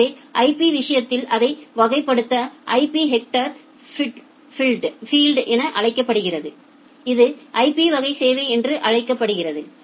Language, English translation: Tamil, So, to classify it in case of IP we use a header in the IP header field it is called the IP type of service